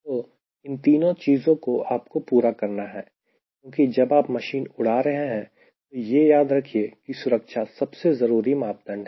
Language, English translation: Hindi, so all this three you have to scatter for, because when you are flying a machine, please remember, safety is the at most criteria